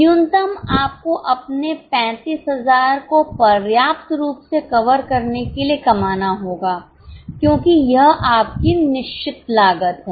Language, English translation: Hindi, Minimum you have to earn enough to cover your 35,000 because that is a fixed cost